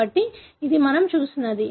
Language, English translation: Telugu, So, this is what we have seen